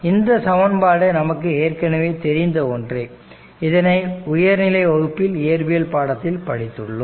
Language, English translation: Tamil, So, this is known to us this equation you are familiar with these from your higher secondary physics